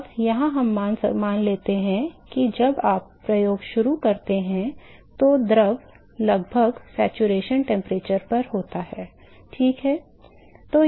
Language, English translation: Hindi, Now here we assume that when you start the experiment the fluid is almost at the saturation temperature ok